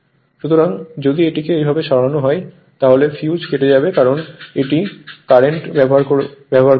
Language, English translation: Bengali, Just if you just move it like this then, fuse will blow right because it will use current